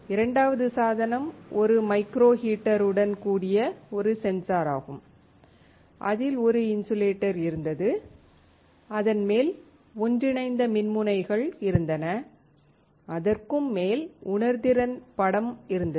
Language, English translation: Tamil, Second device is a sensor with a micro heater, on which was an insulator, on which were inter digitated electrodes, on which was sensing film